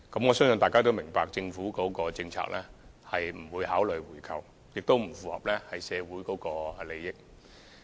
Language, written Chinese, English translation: Cantonese, 我相信大家都明白，政府的政策是不會考慮回購，而這亦不符合社會利益。, I believe Members understand the Governments policy which rules out the proposal as it does not fulfil societys interests